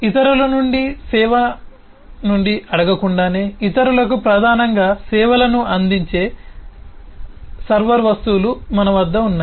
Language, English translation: Telugu, we have server objects who would predominantly provide services to others without asking from service from others